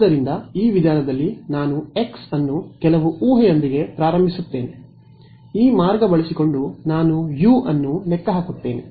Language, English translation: Kannada, So, if you go back over here in this method over here where I am I start with some guess for x then I calculate u using this right